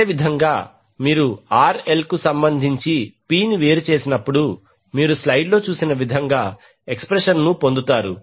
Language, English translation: Telugu, Similarly, when you differentiate power P with respect to RL you get the expression as shown in the slide